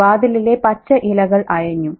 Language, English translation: Malayalam, The green leaves of the door sat